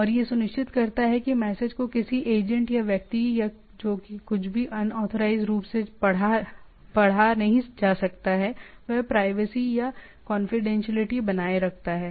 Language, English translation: Hindi, And ensures that the message cannot be read by unauthorized some agent or person or whatever, that is the privacy or confidentiality is maintained